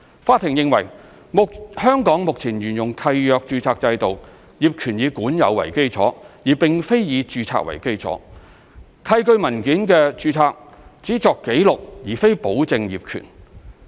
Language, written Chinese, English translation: Cantonese, 法庭認為，香港目前沿用契約註冊制度，業權以管有為基礎，而並非以註冊為基礎，契據文件的註冊只作記錄而非保證業權。, The court considered that under the deeds registration system currently in operation in Hong Kong title to land is possession - based and not registration - based . A registered deed only serves as a record but not a guarantee of title